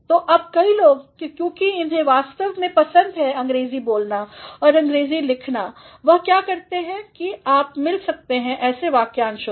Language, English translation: Hindi, So, now many people, because they have actually a fancy for speaking English and writing English what they do, is, you can come across such expressions